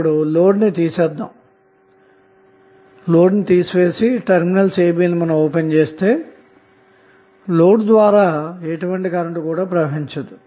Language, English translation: Telugu, Now when the terminals a b are open circuited by removing the load, no current will flow through the load